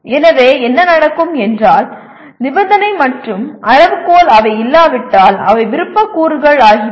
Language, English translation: Tamil, So what happens, condition and criterion they are optional elements if they do not exist